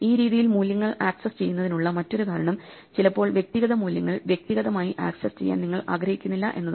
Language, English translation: Malayalam, Another reason to have this style of accessing values is sometimes you do not want individual values to be actually accessed individually